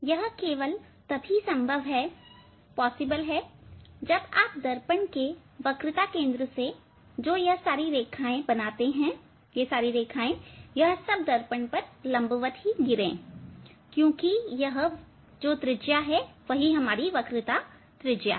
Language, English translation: Hindi, as if from centre of curvature this all line if we draw, they are perpendicular on the mirror because they are the radius, radius of curvature